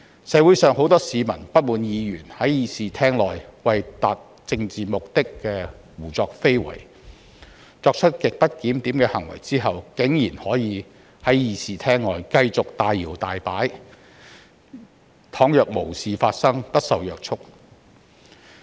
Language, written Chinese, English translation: Cantonese, 社會上，很多市民不滿議員在議事廳內為達政治目的胡作非為，而且在作出極不檢點的行為後，竟然可以在議事廳外繼續大搖大擺，仿若無事發生，不受約束。, In the community many members of the public have grievances on the outrageous manners of some Members in the Chamber for the purpose of achieving their ulterior political motives . They also query why these Members after committing grossly disorderly conduct could still swagger outside the Chamber acting like nothing worse had ever happened and be free from any restrictions